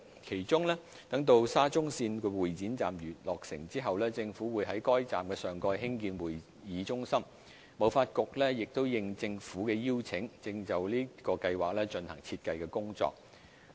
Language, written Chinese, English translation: Cantonese, 其中，待沙中線會展站落成後，政府會在該站上蓋興建會議中心；香港貿易發展局應政府邀請，正就此計劃進行設計工作。, Among them the Government will build a convention centre above the Exhibition Station of the Shatin - to - Central Link after the latters completion . The Hong Kong Trade Development Council has been invited by the Government to design the convention centre under this plan